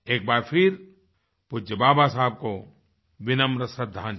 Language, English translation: Hindi, Once again my humble tribute to revered Baba Saheb